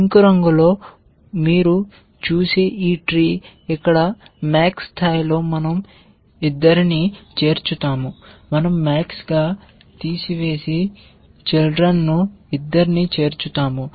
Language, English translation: Telugu, This tree that you see in this pinkish color here at max level we will add both the children, we will remove max and add both the children